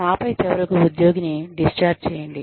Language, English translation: Telugu, And then, finally, discharge the employee